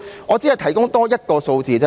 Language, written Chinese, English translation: Cantonese, 我只想提供多一個數字。, I just want to provide another figure